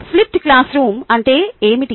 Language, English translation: Telugu, what exactly is a flipped classroom